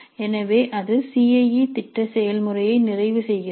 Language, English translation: Tamil, So that completes the CIE plan process